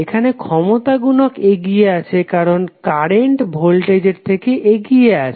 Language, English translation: Bengali, Here power factor is leading because currently leads the voltage